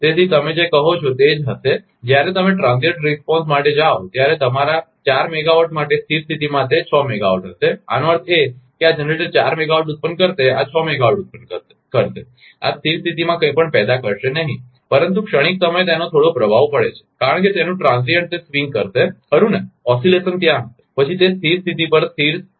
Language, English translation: Gujarati, So, it will be your what you call that for your four megawatt it will be 6 megawatt at steady state when you will go for transient response; that means, this generator will generate four megawatt this will generate six megawatt this will not generate anything at steady state, but at during transient it has some effect because its transient it will swing right some oscillation will be there after that it will be settling to the steady state